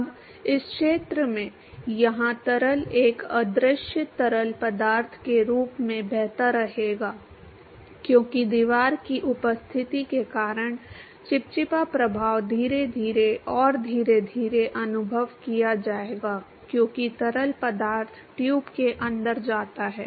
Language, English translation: Hindi, Now, in this region here the fluid will continue to be flowing with the as an invisible fluid because the viscous effects due to the presence of the wall will be experienced slowly and gradually as the fluid goes inside the tube